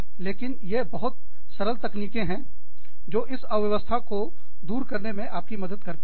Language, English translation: Hindi, But, these are very simple techniques, that help you clear this clutter